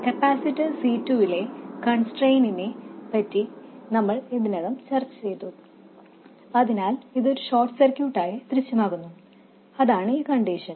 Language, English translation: Malayalam, We already discussed the constraint on capacitor C2 so that it appears as a short circuit and that is this condition